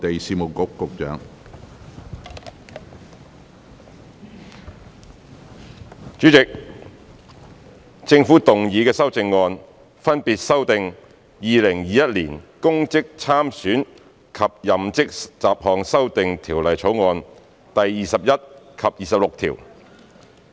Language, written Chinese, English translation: Cantonese, 主席，政府動議的修正案，分別修正《2021年公職條例草案》第21及26條。, Chairman the amendments moved by the Government seek to amend clauses 21 and 26 of the Public Offices Bill 2021 the Bill respectively